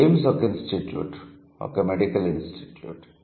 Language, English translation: Telugu, Ames is an institute or medical institute